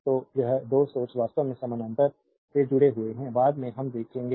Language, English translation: Hindi, So, this two sources are connected actually in parallel later we will see